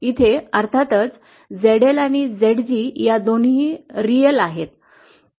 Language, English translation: Marathi, Here of course both ZL and ZG have to be real